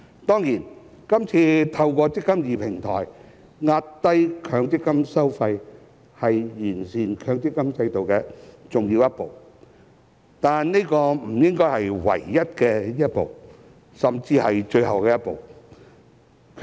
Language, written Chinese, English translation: Cantonese, 當然，這次透過"積金易"平台壓低強積金收費是完善強積金制度的重要一步，但這不應是唯一一步，甚至最後一步。, Of course keeping MPF fees down through the eMPF Platform this time around is an important step towards improving the MPF System but this should not be the one and only step or even the final step